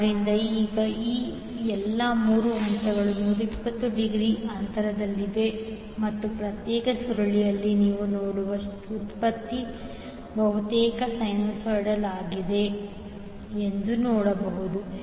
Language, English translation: Kannada, So, now, all these 3 phases are 120 degree apart and the output which you will see in the individual coil is almost sinusoidal